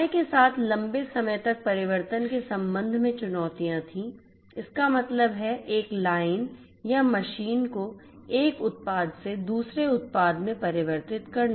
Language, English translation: Hindi, There were challenges with respect to longer change over time; that means, converting a line or machine from running one product to another